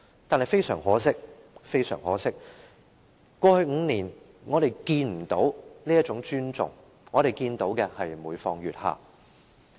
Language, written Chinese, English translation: Cantonese, 然而，非常可惜，過去5年，我們看不到這種尊重，我們看到的是每況愈下。, Yet regrettably in the past five years we did not see this kind of respect . What we have seen is a deteriorating situation